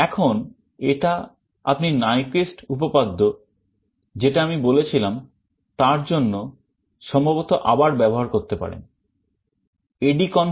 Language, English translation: Bengali, Now, this you can possibly use again because of the Nyquist theorem I talked about